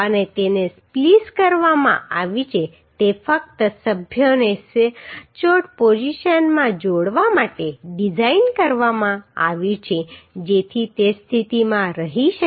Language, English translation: Gujarati, And it is spliced is designed just to connect the members accurately in position so that in position it may stay